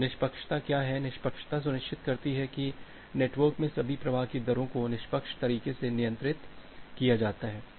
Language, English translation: Hindi, So, what is fairness, the fairness ensures that the rate of all the flows in the network is controlled in a fair way